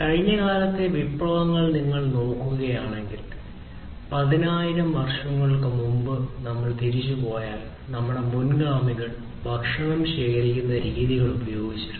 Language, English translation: Malayalam, So, if you look at revolutions in the past earlier if we go back more than 10,000 years ago, our predecessors used to collect food through foraging techniques